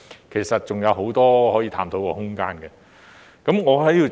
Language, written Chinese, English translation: Cantonese, 其實這方面還有很多可以探討的空間。, In fact there is still much room for exploration in this regard